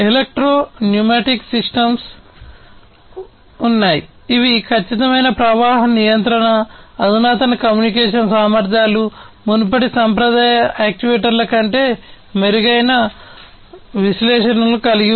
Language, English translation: Telugu, Then there are the electro pneumatic systems, which have precise flow control, advanced communication capabilities, improved diagnostics than the previous traditional actuators